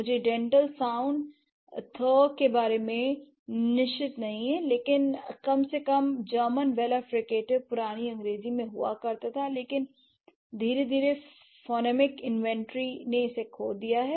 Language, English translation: Hindi, So, I'm not sure about the dental sound, but at least the German, German, German wheeler, fricative, it used to be in old English, but gradually it has, like the phonemic inventory has lost it right